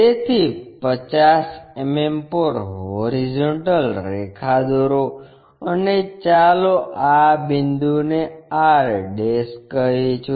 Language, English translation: Gujarati, So, at 50 mm draw a horizontal line and let us call this point as r'